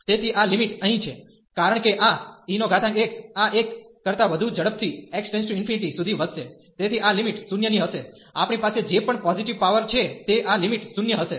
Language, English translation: Gujarati, So, this limit here, because this e power x will go will grow faster to x to infinity than this one, so this limit is going to be 0, this limit is going to be 0 whatever positive power we have